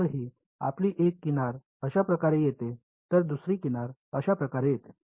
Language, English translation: Marathi, So, this is your one edge comes in like this, the other edge if it comes like this